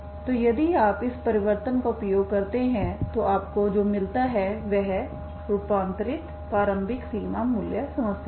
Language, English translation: Hindi, So if you use this transformation what you get is the transformed initial boundary value problem, okay